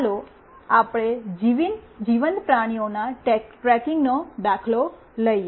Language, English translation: Gujarati, Let us take the example of tracking living beings